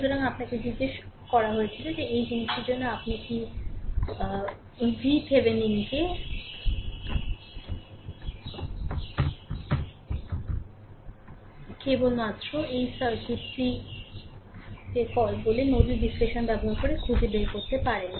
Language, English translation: Bengali, So, you have been ask that for this thing you find out V Thevenin using nodal analysis using your what you call the this circuit only